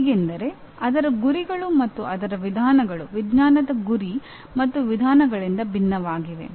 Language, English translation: Kannada, Different in the sense its goals and its methods are different from the goals and methods of science